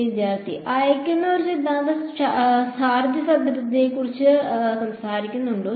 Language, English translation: Malayalam, Does the send the theorem talk about a charge density